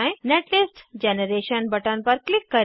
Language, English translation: Hindi, Click on netlist generation button